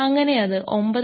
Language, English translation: Malayalam, So, this becomes 9